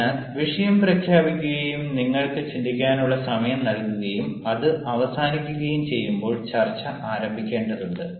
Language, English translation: Malayalam, so when the topic is announced and the a time given for you to think and all ah gets over, when the real time starts, the discussion has to start